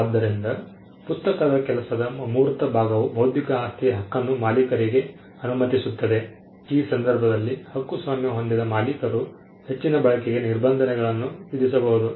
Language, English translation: Kannada, So, the intangible part of the work which is the book allows the owner of the intellectual property right, in this case the copyright owner to impose restrictions on further use